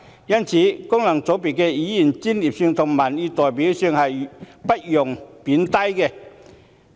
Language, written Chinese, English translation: Cantonese, 因此，功能界別議員的專業性和民意代表性是不容貶低的。, Therefore the professionalism and representativeness of those Members returned by FCs should never be downplayed